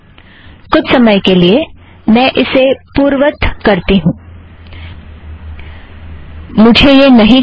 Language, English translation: Hindi, For the time being let me undo this, I dont want this